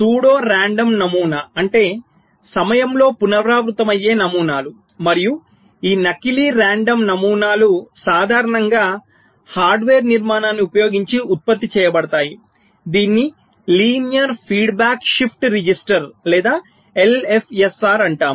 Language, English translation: Telugu, pseudo random pattern means patterns which can be repeated in time, and this pseudo random patterns are typically generated using a hardware structure which is called linear feedback shift register or l f s r